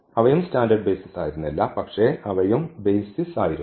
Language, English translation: Malayalam, So, that was not the standard basis, but they were also the basis